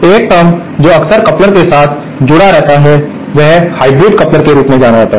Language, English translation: Hindi, One term that is frequently associated with couplers is what is known as a hybrid coupler